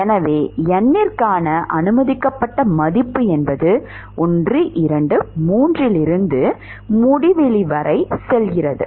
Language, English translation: Tamil, Therefore, the permissible value for n is going from 1, 2, 3 up to infinity